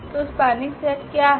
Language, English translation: Hindi, So, what is the spanning set